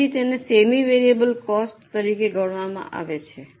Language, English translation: Gujarati, So, it is considered as a semi variable cost